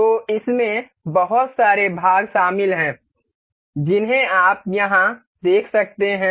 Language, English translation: Hindi, So, the there are a huge number of parts included in this you can see here